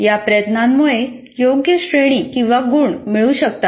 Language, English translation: Marathi, So this effort will lead to getting the appropriate grade or marks